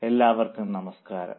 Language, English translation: Malayalam, Namaste, thank you